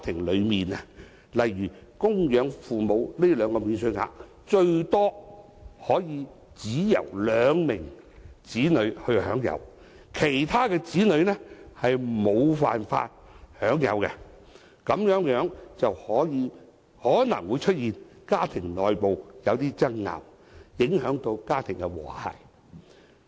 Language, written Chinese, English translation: Cantonese, 例如，供養父、母這兩項免稅額最多只可以由兩名子女享有，其他子女則無法享有，這往往會導致一些有較多兄弟姊妹的家庭內部出現爭拗，影響家庭和諧。, For example the two allowances for dependent parents can at most be enjoyed by two children and other children are not entitled to such allowances thus often leading to disputes in families with many brothers and sisters and dealing a blow to family harmony